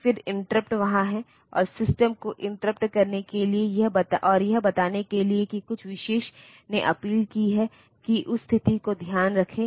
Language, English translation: Hindi, Then interrupts are there and for interrupting the system and telling that something special has appended that to take care of that situation